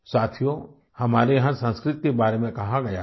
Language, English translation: Hindi, Friends, in these parts, it is said about Sanskrit